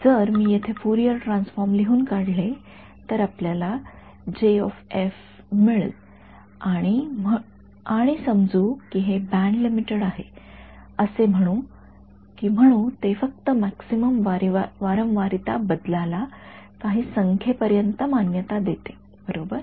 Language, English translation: Marathi, So, if I write down the Fourier transform over here, it will have some J tilde of f and let us say that it is band limited let say it allows only a maximum frequency variation up to some number right